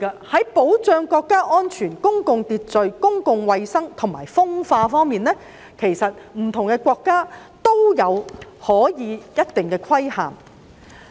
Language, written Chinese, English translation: Cantonese, 在保障國家安全、公共秩序、公共衞生和風化方面，不同的國家可以作出一定的規限。, Different countries may impose a certain degree of regulation on the protection of national security public order public health and sex crimes